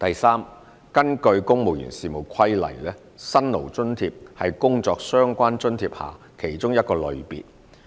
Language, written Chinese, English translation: Cantonese, 三根據《公務員事務規例》，"辛勞津貼"是工作相關津貼下的其中一個類別。, 3 According to the Civil Service Regulations Hardship Allowance is one of the categories under Job - Related Allowances JRAs